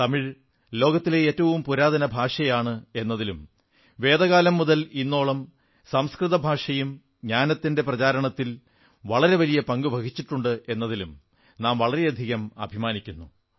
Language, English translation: Malayalam, We Indians also feel proud that from Vedic times to the modern day, Sanskrit language has played a stellar role in the universal spread of knowledge